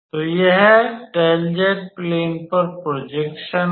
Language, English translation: Hindi, So, this is the projection on del z plane